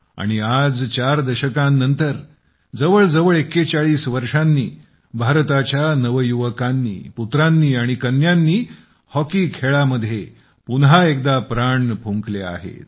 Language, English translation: Marathi, And four decades later, almost after 41 years, the youth of India, her sons and daughters, once again infused vitality in our hockey